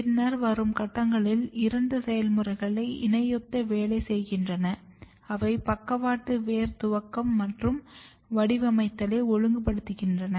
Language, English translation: Tamil, And then if you come slightly later stage there are two modules which are working in parallel and they are regulating lateral root initiation and patterning development